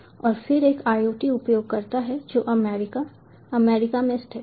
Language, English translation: Hindi, and then there is an iot user who is based in america us